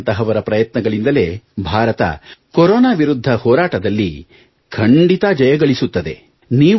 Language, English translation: Kannada, Due to efforts of people like you, India will surely achieve victory in the battle against Corona